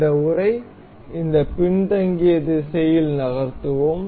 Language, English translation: Tamil, We will move this casing in this backward direction